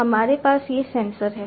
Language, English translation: Hindi, We have these sensors, right